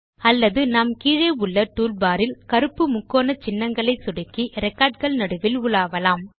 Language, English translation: Tamil, Or we can also use the black triangle icons in the bottom toolbar to navigate among the records